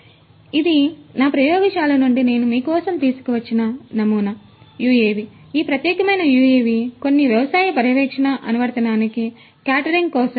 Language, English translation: Telugu, So, this is a sample UAV that I have brought for you from my lab, this particular UAV is for catering to certain agricultural monitoring application